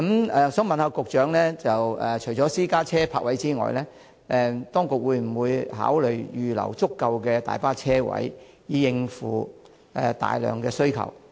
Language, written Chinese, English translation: Cantonese, 我想問局長，除私家車泊位外，當局會否考慮預留足夠大巴車位，以應付需求？, May I ask the Secretary whether the authorities will in addition to providing parking spaces for private cars consider providing sufficient parking spaces for coaches to meet the needs?